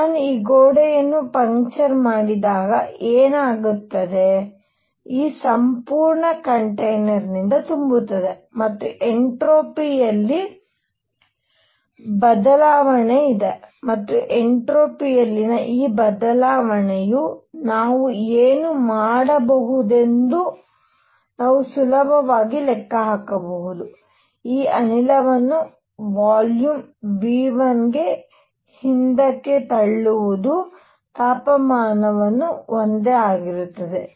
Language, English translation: Kannada, When I puncture this wall, what happens is this entire entire container gets filled and there is a change in entropy and this change in entropy can we calculate very easily what we do is push this gas back to volume V 1 keeping the temperature the same